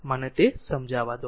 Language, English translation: Gujarati, Let me clear